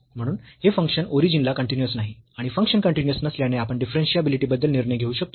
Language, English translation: Marathi, Hence, this function is not continuous at origin and since the function is not continuous we can decide about the differentiability